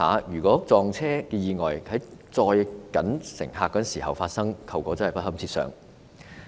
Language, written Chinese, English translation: Cantonese, 若撞車意外在行車時間發生，後果真的不堪設想。, Had the accident taken place during the service hours the consequences would really have been disastrous